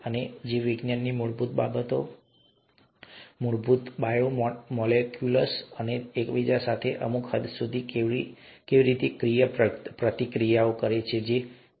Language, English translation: Gujarati, And the very fundamentals of biology, the basic biomolecules, how they interact with each other to certain extent may be